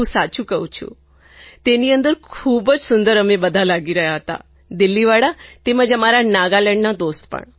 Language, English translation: Gujarati, Believe me, our Delhi group was looking pretty, as well as our friends from Nagaland